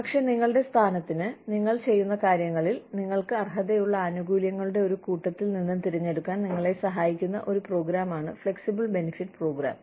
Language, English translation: Malayalam, But, flexible benefits program is a program, that helps you choose from, a pool of benefits, that you are eligible for, in your position, in what you do